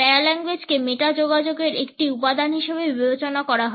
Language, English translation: Bengali, Paralanguage is considered to be a component of meta communication